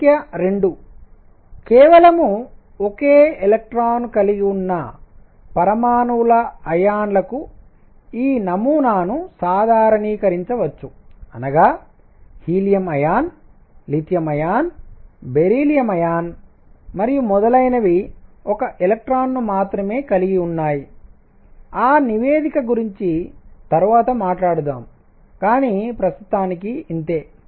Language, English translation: Telugu, Number 2: the model can be generalized to ions of atoms that have only one electron; that means, helium plus lithium plus plus beryllium plus plus plus and so on that have only one electron that is a note which will talk about later, but for the time being this is what is